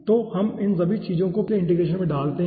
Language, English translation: Hindi, so we put all these things in the previous integration